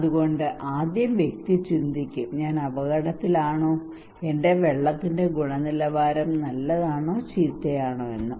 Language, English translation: Malayalam, So the first person will think that am I at risk, is my water is quality is really good or bad